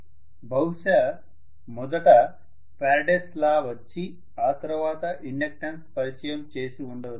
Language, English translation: Telugu, So Faraday's law came first probably and then the inductance was introduced that is how it was